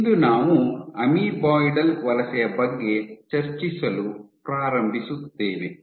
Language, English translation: Kannada, So, today we will start discussing amoeboidal migration